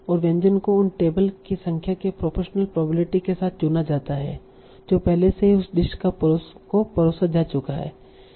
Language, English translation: Hindi, And this is chosen with a probability proportion to the number of tables which already have that served that dish